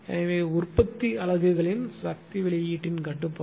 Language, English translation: Tamil, So, control of power output of generating units